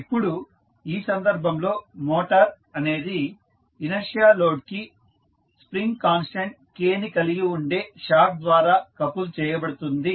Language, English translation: Telugu, Now, in this case the motor is coupled to an inertial load through a shaft with a spring constant K